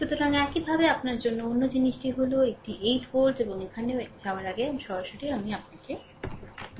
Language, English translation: Bengali, So, similarly ah similarly your another thing is that this is 8 volt and here also here also before going to that after that directly I will tell you, right